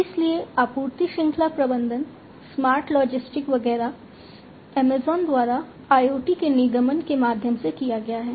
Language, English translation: Hindi, So, supply chain management, smart logistics etcetera, have been have been done by Amazon through the incorporation of IoT